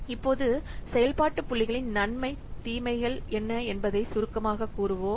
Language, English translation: Tamil, So now let's summarize what are the pros and cons of the function points